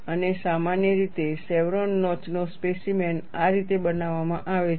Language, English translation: Gujarati, And usually, chevron notch specimen is shown like this